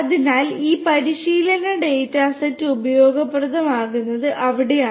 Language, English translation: Malayalam, So, that is where this training data set becomes useful